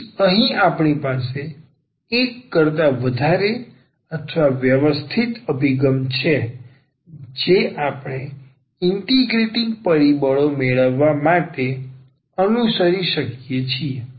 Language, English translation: Gujarati, So, here we have a more or rather systematic approach which we can follow to get the integrating factors